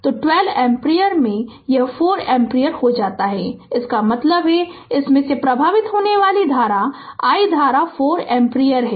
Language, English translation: Hindi, So, into 12 ampere right; so it becomes 4 ampere; that means, this i current flowing through this i is 4 ampere right